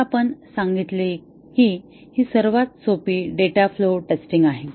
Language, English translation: Marathi, So, this we said that there is a, this is the simplest data flow testing